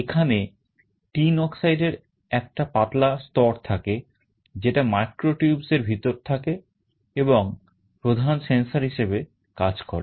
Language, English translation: Bengali, There is a thin layer of tin dioxide, which is put inside the micro tubes and acts as the main sensor